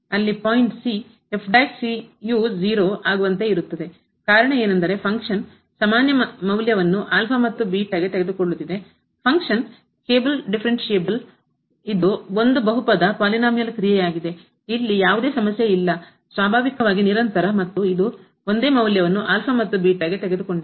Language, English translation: Kannada, Because, of the reason because the function is taking now equal value at alpha and beta, function is differentiable, it is a polynomial function, there is no problem, the it is continuous naturally and it is taking the same value at alpha and beta